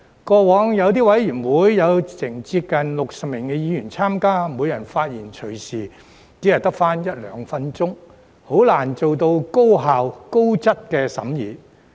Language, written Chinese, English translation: Cantonese, 過往有些委員會有接近60名議員參加，每人的發言時間隨時只有一兩分鐘，很難做到高效、高質的審議。, In the past some committees had almost 60 members . The speaking time of each member would possibly be only one or two minutes making it difficult to achieve efficient and quality deliberations